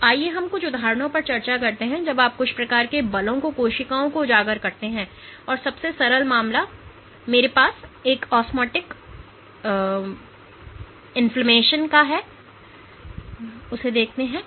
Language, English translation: Hindi, So, let us discuss some examples of what happens when you expose cells to some kind of forces and the simplest case I have the case of osmotic swelling